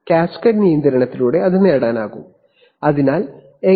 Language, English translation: Malayalam, So that is achieved by cascade control, so how